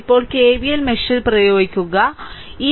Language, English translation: Malayalam, Now I apply KVL in mesh 4